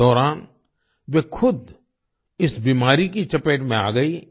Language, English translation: Hindi, During all this, she herself fell prey to this disease